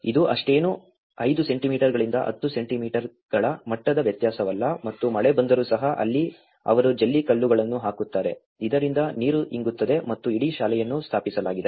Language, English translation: Kannada, It is hardly 5 centimeters to 10 centimeters level difference and even in case when rain happens, so that is where they put the gravel so that the water can percolate and this whole school has been established